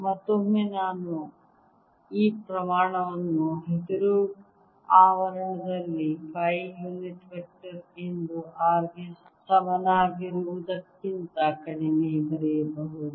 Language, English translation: Kannada, and again i can write this quantity in the green enclosure as phi unit vector for r less than equal to r